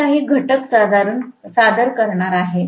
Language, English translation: Marathi, It is going to introduce a few factors